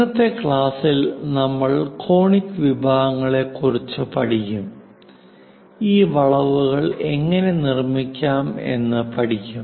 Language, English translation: Malayalam, In today's class, I will cover on Conic Sections; how to construct these curves